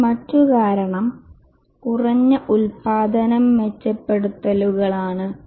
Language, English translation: Malayalam, And also the other reason is low productivity improvements